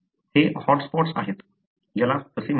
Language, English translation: Marathi, These are hot spots, what they called as